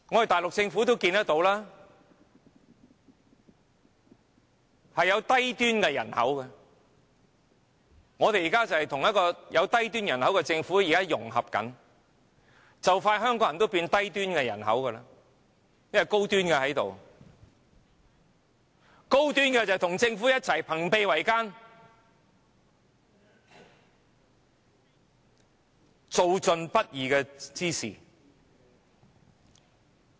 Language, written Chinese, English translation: Cantonese, 大陸有低端人口，我們現正跟有低端人口的政府融合，很快香港人也會變為低端人口，因為高端的在這裏，高端人口便與政府朋比為奸，做盡不義之事。, There is low - end population in the Mainland . We are actually integrating with a Government with low - end population and Hong Kong people will become low - end population too because the high - end population is here ganging up with the Government to do all sorts of evil deed